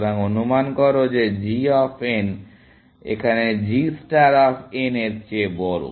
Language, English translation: Bengali, So, assume that g of n is greater than g star of n